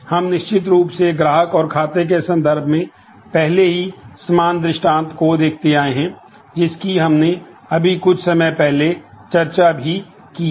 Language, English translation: Hindi, We have of course seen similar instances already in terms of the customer and accounts instance that we have just discussed a couple of while ago